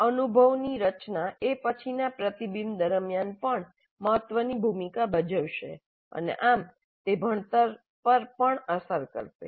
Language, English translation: Gujarati, Framing the experience influences subsequent reflection also and thus it will influence the learning also